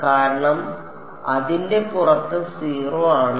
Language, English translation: Malayalam, Because w itself is 0 outside it right